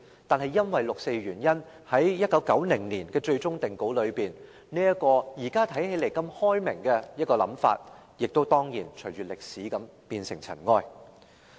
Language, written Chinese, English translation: Cantonese, 但是，因為發生了六四事件，在1990年的最終定稿中，這個現時看來相當開明的想法，當然亦跟隨歷史化為塵埃。, Yet as a result of the occurrence of the 4 June incident this idea which seems rather liberal now had certainly turned into dust in the course of history in the final version published in 1990